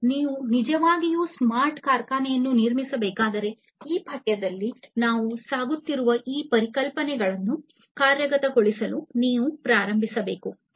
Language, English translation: Kannada, And if you really need to build a smart factory basically you have to start implementing these concepts that we are going through in this course